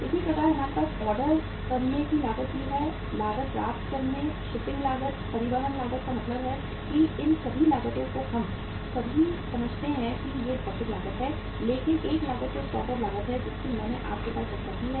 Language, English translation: Hindi, Similarly, we have the ordering cost also, receiving cost, shipping cost, means transportation cost all these costs are there we all understand that these are the physical cost but the one cost which is the stock out cost I have discussed with you in the previous class also that is also a very serious cost